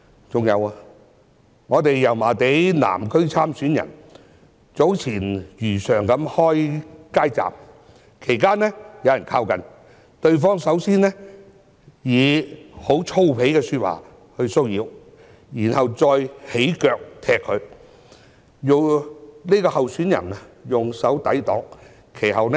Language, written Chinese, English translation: Cantonese, 再者，一位民建聯油麻地南區參選人早前如常開設街站，其間有人靠近，首先以粗鄙的說話騷擾，然後再用腳踢向候選人，候選人以手抵擋。, Moreover when a candidate from DAB who is running in the constituency of Yau Ma Tei South set up a street booth as usual earlier a person approached and harassed the candidate by first using vulgar language and then kicking the candidate with his feet but the candidate managed to fend off the attacks with his hands